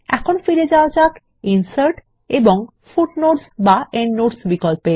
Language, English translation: Bengali, Lets go back to Insert and Footnote/Endnote option